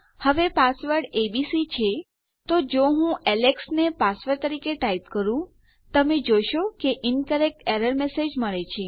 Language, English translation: Gujarati, Now my password is abc so if I type Alex as my password, you can see we get an incorrect error message